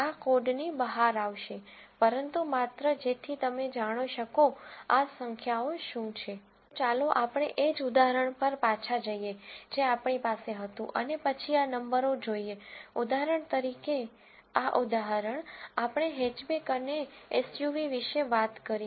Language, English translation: Gujarati, So, let us go back to the same example, that we had and then look at, these numbers for, for this example, this example; we talked about hatchback and SUV